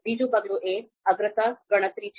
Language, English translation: Gujarati, The second step is on priority calculation